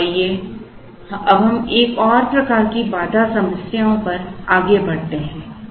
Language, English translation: Hindi, So, let us now move on to another type of constraint problems